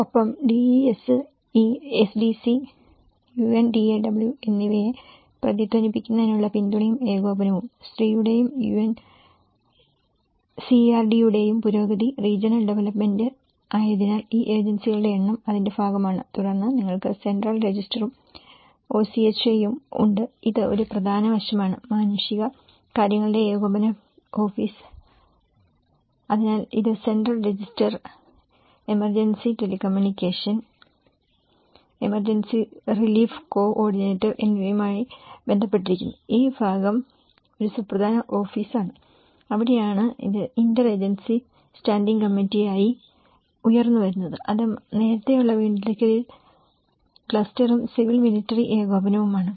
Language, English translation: Malayalam, And DESE; support and coordination to echoed SDC and UNDAW; advancement of woman and UNCRD; Regional Development so, like that these number of agencies part of it and then you have the Central Register and OCHA, which is an important aspect, the office of the coordination of the humanitarian affairs so, it is related with the Central Register, emergency telecommunications and emergency and relief coordinator so, this part is an important office and that is where the its sprungs into Interagency Standing Committee which is an early recovery cluster as well as a civil military and coordination